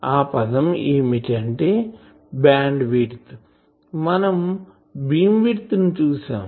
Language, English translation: Telugu, So, we have seen beamwidth now we will discuss about band bandwidth